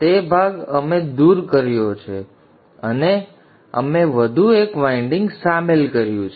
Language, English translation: Gujarati, Now that portion we have removed and we have included one more winding